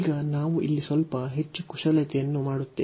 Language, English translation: Kannada, Now, we will do little more manipulation here